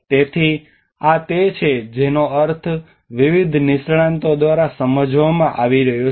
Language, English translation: Gujarati, So this is how it has been understood by I mean different experts